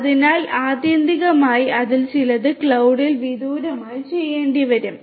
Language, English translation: Malayalam, So, ultimately you know some of it will have to be done remotely at the cloud